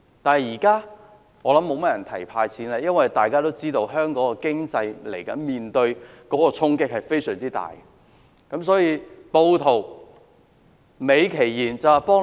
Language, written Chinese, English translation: Cantonese, 但現在，我想沒有多少人會提"派錢"了，因為大家都知道，香港的經濟接下來將面對非常大的衝擊。, But I think not many people will talk about cash handouts now because we all know that Hong Kongs economy is going to receive a heavy blow